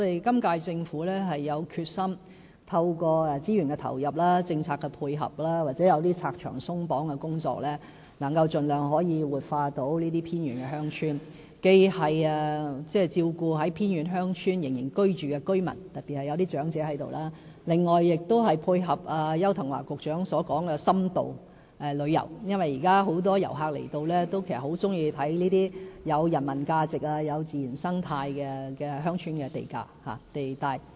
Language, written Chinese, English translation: Cantonese, 今屆政府有決心透過資源投入，政策的配合或進行一些拆牆鬆綁的工作，以能夠盡量活化這些偏遠鄉村，既照顧仍居住在偏遠鄉村的居民，特別是一些長者，另外亦配合邱騰華局長所說的深度旅遊，因為現時很多訪港遊客其實很喜歡遊覽這些富人文價值和自然生態價值的鄉村地帶。, The current - term Government is determined to revitalize these remote villages as much as possible through resources deployment policy support or removal of hindrances . In doing so we will take account of the residents still living in remote villages elderly residents in particular and at the same time we will also tie in with the development of in - depth tourism advocated by Secretary Edward YAU because many inbound visitors actually delight greatly in the rich humanity and ecological values of these rural places